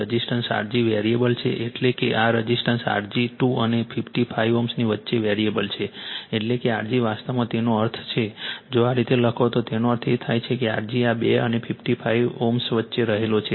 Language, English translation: Gujarati, The resistance R g is variable that means, this resistance R g is variable between 2 and 55 ohm that means R g actually that means, if you write like this that means that means, your R g is lying in between these two, and 55 ohm right